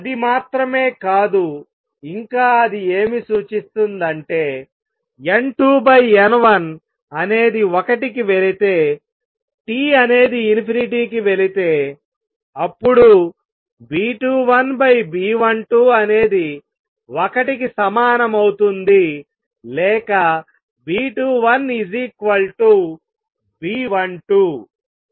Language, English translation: Telugu, Not only that it also indicates since N 2 over and N1 goes to 1 for T going to infinity that B 2 1 over B 12 is also equal to 1 or B 2 1 equals B 12